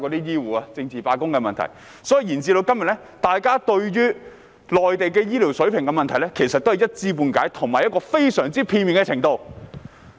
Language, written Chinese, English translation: Cantonese, 因此，延至今天，大家對內地醫療水平的問題仍是一知半解，屬於非常片面的程度。, Therefore up until now people still only have a sketchy knowledge of the healthcare standards in the Mainland which is extremely one - sided